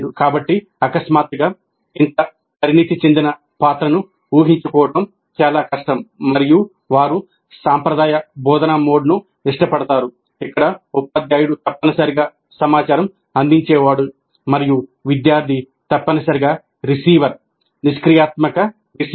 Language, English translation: Telugu, So it may be very difficult to suddenly assume such a more mature role and they may prefer a traditional instructional mode where the teacher is essentially a provider of information and the student is essentially a receiver, a passive receiver